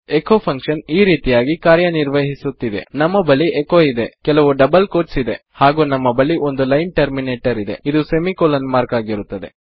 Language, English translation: Kannada, The echo function works like this: weve got echo, weve got some double quotes and weve got a line terminator which is the semicolon mark